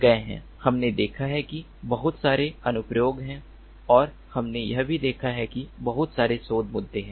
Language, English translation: Hindi, we have seen that there a there are lot of applications and we have also seen that there are lots of research issues